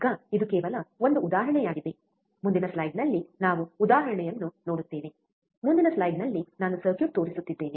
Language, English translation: Kannada, Now this is just just an example ok, we will see example in the next slide, circuit in the next slide just I am showing